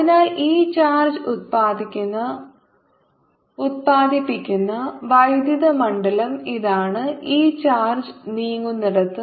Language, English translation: Malayalam, so this is electric field produced by this charge, for this charge is moving, so r